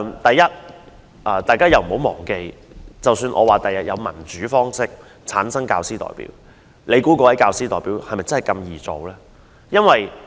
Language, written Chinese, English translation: Cantonese, 大家不要忘記，即使日後有以民主方式產生的教師代表，你猜那位教師代表易做嗎？, We must not forget that even if there are teacher representatives returned by democratic elections in future do you think it will be easy to serve as a teacher representative?